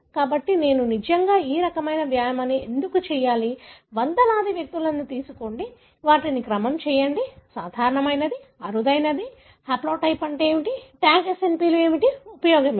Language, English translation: Telugu, So, why should I really do this kind of exercise; take hundreds of individuals, sequence them, what is common, what is rare, what is the haplotype, what are Tag SNPs, what is the use